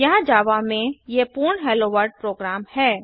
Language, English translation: Hindi, Here these are complete HelloWorld program in Java